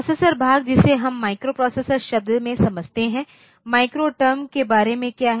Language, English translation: Hindi, Now, processor part we understand in the term microprocessor, what about the micro term